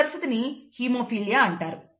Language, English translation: Telugu, And that condition is actually called haemophilia